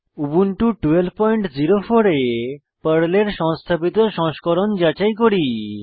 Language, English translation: Bengali, Let us check the installed version of PERL on Ubuntu 12.04